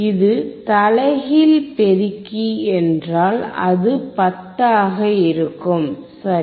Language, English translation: Tamil, If it is inverting amplifier, it will be 10, right